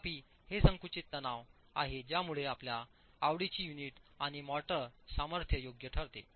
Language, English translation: Marathi, However, it is the compressive stress that will dictate your choice of unit and motor strength